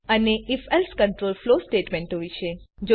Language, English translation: Gujarati, And if...else control flow statements